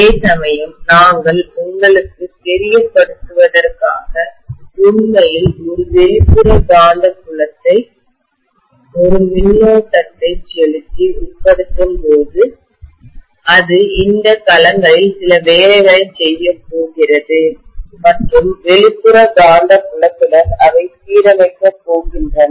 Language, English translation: Tamil, Whereas, when actually we are trying to you know subject it to an external magnetic field by passing the current, that is going to do some work on these domains and physically they are going to be aligned along with the external magnetic field